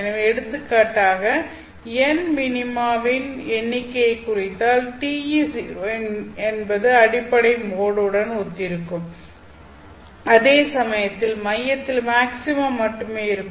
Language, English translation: Tamil, So if for example n denotes a number of minima, then t e0 would correspond to the fundamental mode wherein there is only maxima at the center and the field never goes to zero